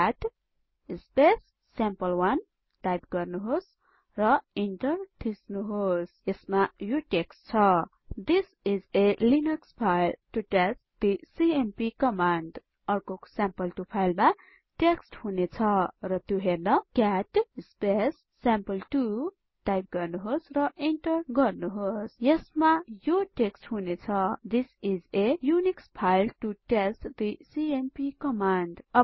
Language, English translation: Nepali, Type cat sample1 and press enter.It contains the text This is a Linux file to test the cmp command The other file sample2 will contain the text and to see that we will type cat sample2 and press enter